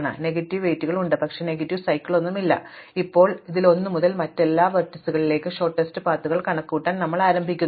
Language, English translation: Malayalam, So, there are negative weights, but no negative cycles and now in this we want to compute shortest paths from 1 to every other vertices